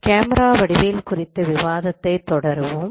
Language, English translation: Tamil, We will continue our discussion on camera geometry